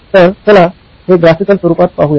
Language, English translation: Marathi, Let’s look at this in a graphical format